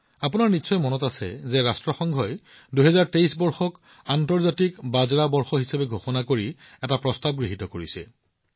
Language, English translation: Assamese, You will remember that the United Nations has passed a resolution declaring the year 2023 as the International Year of Millets